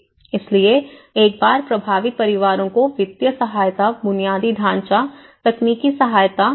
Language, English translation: Hindi, So, once the affected families could receive the financial aid, infrastructure, technical support